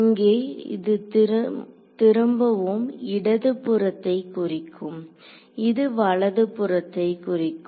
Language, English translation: Tamil, So, here this again refers to left this here refers to right ok